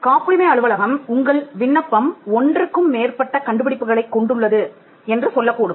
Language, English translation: Tamil, The point, the patent office may point out that you have, your application has more than one invention and ask you to divide it